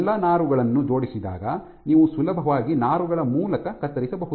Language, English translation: Kannada, When all the fibers are aligned you can easily cut through the fibers